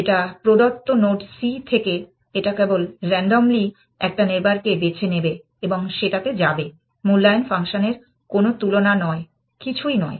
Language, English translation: Bengali, From a given node c, it will just randomly choose one neighbor and go to that essentially, no comparison of evaluation function nothing essentially